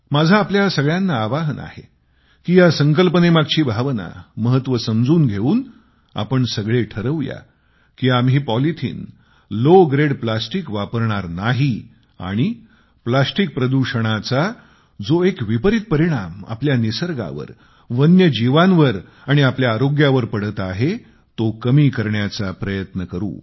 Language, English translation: Marathi, I appeal to all of you, that while trying to understand the importance of this theme, we should all ensure that we do not use low grade polythene and low grade plastics and try to curb the negative impact of plastic pollution on our environment, on our wild life and our health